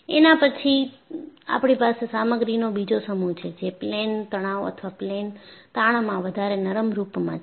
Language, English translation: Gujarati, Then, we have another set of material, which is more ductile in plane stress or plane strain